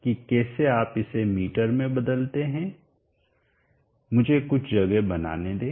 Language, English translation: Hindi, 4 / 1000 so that is how you convert it to meter let me make some space